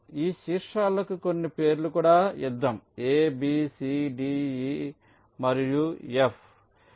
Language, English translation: Telugu, lets also give some names to these vertices: a, b, c, d, e and f